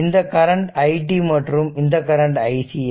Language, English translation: Tamil, So, this is the i t and say this is current is flowing i c